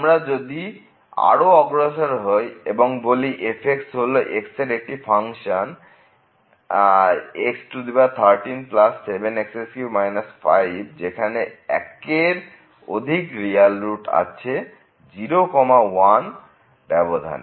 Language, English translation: Bengali, So, if we move further suppose that this this function here x power 13 plus 7 x minus 5 has more than one real root in [0, 1]